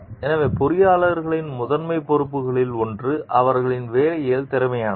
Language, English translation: Tamil, So, one of the primary responsibilities of the engineers is competent in their work